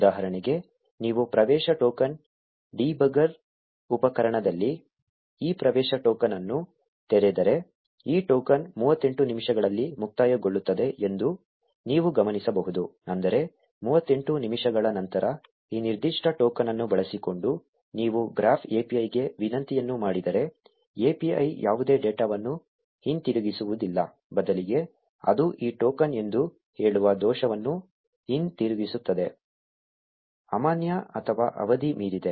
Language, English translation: Kannada, For example, if you open this access token in the access token debugger tool, you will notice that this token expires in 38 minutes, which means that if you make a request to the Graph API using this particular token after 38 minutes, the API will not return any data, instead it will return an error saying that this token is invalid or expired